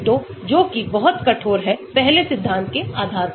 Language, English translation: Hindi, Ab initio, which is very rigorous based on first principles